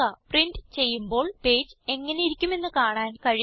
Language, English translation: Malayalam, You can see the page exactly as it would look when it is printed